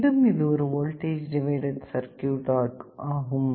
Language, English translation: Tamil, This is a voltage divider circuit